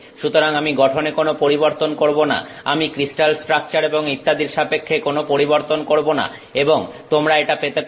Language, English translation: Bengali, So, I am not changing anything to the composition, I am not changing anything with respect to the crystal structure and so on and you can get this